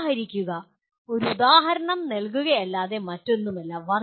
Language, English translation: Malayalam, Exemplification is nothing but giving an example